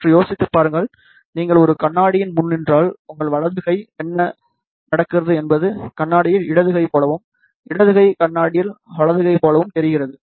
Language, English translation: Tamil, Just think about it, if you stand in front of a mirror, then what happens your right hand looks like a left hand in the mirror, and left hand looks like a right hand in the mirror